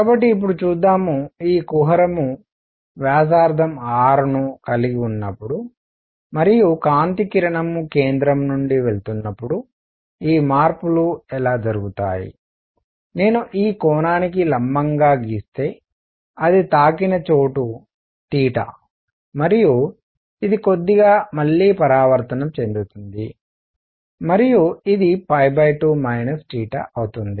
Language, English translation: Telugu, So, let us see now; how these changes occur when this cavity has radius r and light ray is going such that from the centre, if I draw a perpendicular to this the angle where it hits is theta and this slightly reflects again and this is going to be pi by 2 minus theta and so this angle, let me make it here again cleanly